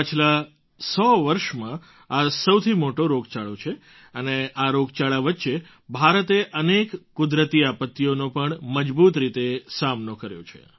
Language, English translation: Gujarati, This has been the biggest pandemic in the last hundred years and during this very pandemic, India has confronted many a natural disaster with fortitude